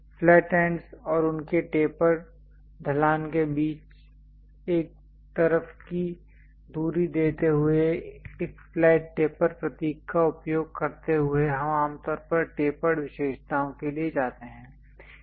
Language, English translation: Hindi, Giving height of one side distance between flat ends and their taper slope using a flat taper symbol, we usually go for tapered features